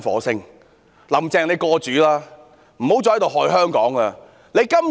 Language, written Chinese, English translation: Cantonese, 請"林鄭""過主"吧，不要再害香港了。, Will Carrie LAM please get lost and do no more harm to Hong Kong